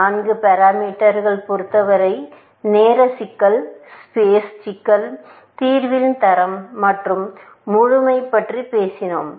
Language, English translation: Tamil, In terms of the four parameters, we talked about time complexity, space complexity, quality of solution and completeness